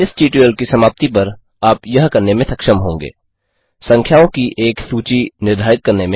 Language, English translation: Hindi, At the end of this tutorial, you will be able to, Define a list of numbers